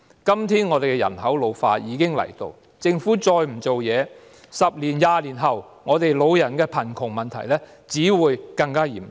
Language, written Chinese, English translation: Cantonese, 今天，本港人口老化的問題已經逼近，如果政府再不有所行動 ，10 年、20年後，我們的老人貧窮問題只會更嚴重。, Today the problem of an ageing population is at our doorstep . If the Government still does not act our elderly poverty problem will only become more serious in 10 to 20 years